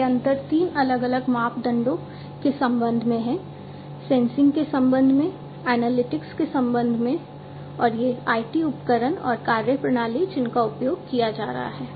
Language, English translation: Hindi, So, and these differences are with respect to three different parameters with respect to sensing, with respect to analytics, and these IT tools and methodologies that are being used